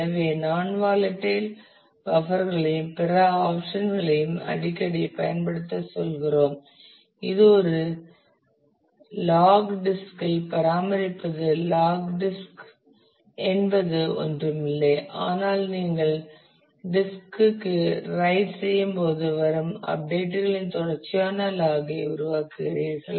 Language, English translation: Tamil, So, we say that use non volatile buffers and other option that is used often is you maintain a log disk a log disk is nothing, but when you are writing to the disk you make a sequential log of the updates that you are doing